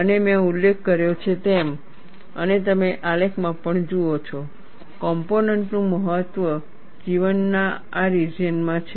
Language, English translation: Gujarati, And as I mentioned, and you also see in the graph, maximum life of the component is in this region